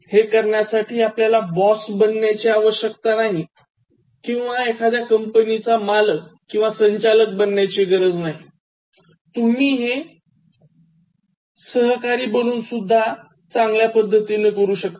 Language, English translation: Marathi, To do this, you need not be the boss, so you need not be the CEO of the company you can just be a fellow worker